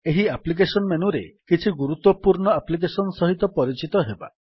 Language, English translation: Odia, In this applications menu, lets get familiar with some important applications